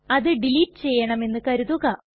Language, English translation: Malayalam, Say we want to delete it